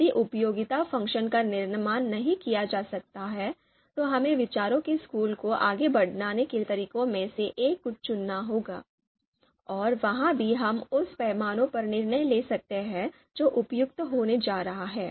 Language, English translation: Hindi, If utility function cannot be constructed, then we will have to pick one of one of the methods from outranking school of thought, and there also if we can decide on the scale which is going to be suitable